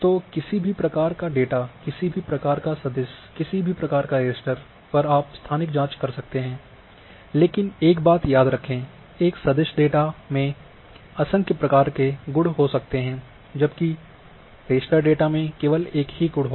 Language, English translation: Hindi, So, on any type of data, any type of vector any type of raster you can perform a spatial queries, but remember one thing a vector data can have n number of attributes whereas you know that raster data will have only one attribute